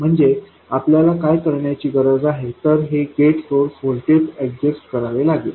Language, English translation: Marathi, So, what we need to do is to adjust this gate source voltage